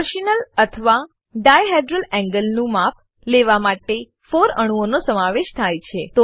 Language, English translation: Gujarati, Measurement of torsional or dihedral angle involves 4 atoms